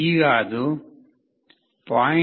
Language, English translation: Kannada, Now, it is coming to 0